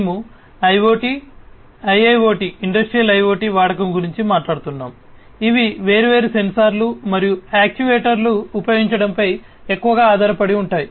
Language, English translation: Telugu, 0, we are talking about use of IoT, use of IIoT, Industrial IoT which essentially are heavily based on the use of different sensors and actuators